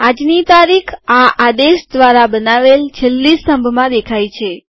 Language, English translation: Gujarati, Todays date appears in the last column created by this command